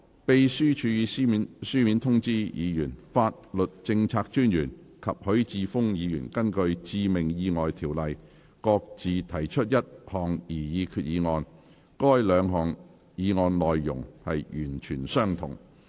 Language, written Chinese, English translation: Cantonese, 秘書處已書面通知議員，法律政策專員及許智峯議員根據《致命意外條例》各自提出一項擬議決議案，該兩項議案的內容完全相同。, The Legislative Council Secretariat has informed Members in writing that the Solicitor General and Mr HUI Chi - fung will each propose a resolution under the Fatal Accidents Ordinance and the two motions are identical